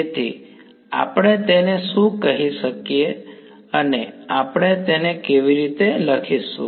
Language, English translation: Gujarati, So, what can we call it, how will we write it